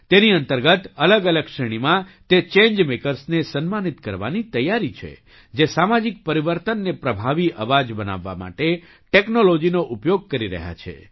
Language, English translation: Gujarati, Under this, preparations are being made to honour those change makers in different categories who are using technology to become effective voices of social change